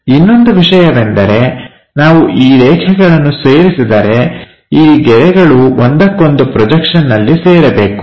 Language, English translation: Kannada, The other thing if we are joining these lines, they will co supposed to get coincided is projection